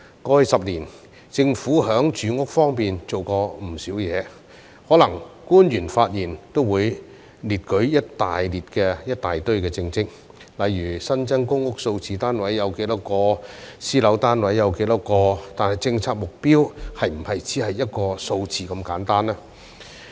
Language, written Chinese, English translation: Cantonese, 過去10年，政府在住屋方面做過不少事情，可能官員發言也會列舉一大堆政績，例如新增公屋單位有多少個，私樓單位有多少個，但政策目標是否只是一個數字如此簡單呢？, Over the past decade the Government has done a lot with regard to housing . Officials may cite in their speeches a long list of achievements such as the number of new public housing units and the number of private housing units but is the policy objective as simple as a number?